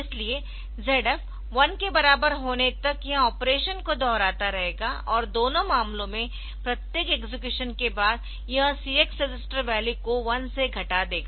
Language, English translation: Hindi, So, until ZF equal to 1, so it will on repeating the operation and after every execution, so it will decrement the CX register value by one in both the cases